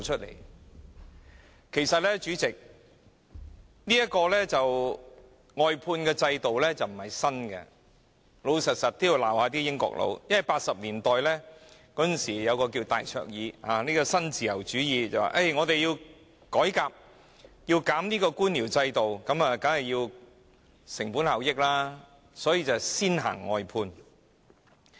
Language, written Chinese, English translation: Cantonese, 老實說，我也要指責那些"英國佬"，因為在1980年代有一位名叫戴卓爾的人，推行新自由主義改革，要削減官僚制度，提高成本效益，遂推出了外判制度。, Honestly I have to blame the Brits for this . For in the 1980s there was this woman called Margaret THATCHER who introduced the neo - liberalism reform . She wanted to cut down the bureaucratic establishment to increase its cost - effectiveness and thus implemented the outsourcing system